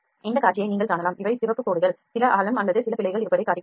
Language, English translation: Tamil, You can see this view also these are the colors red lines show that some depth or some errors are there